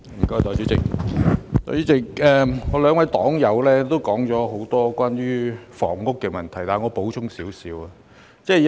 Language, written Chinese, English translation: Cantonese, 代理主席，我兩位黨友提出很多關於房屋的問題，我現在稍作補充。, Deputy President my two party comrades have raised many questions about housing and I will now add a few words